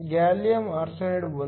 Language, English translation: Kannada, Gallium arsenide has an Eg of 1